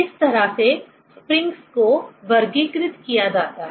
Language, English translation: Hindi, This is the way, the springs are classified